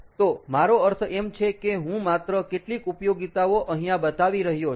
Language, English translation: Gujarati, so i mean i am just showing some applications over here